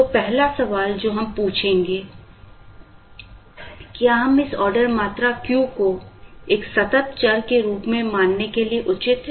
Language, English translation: Hindi, So, the first question that we would ask is, are we justified in treating this Q, order quantity as a continuous variable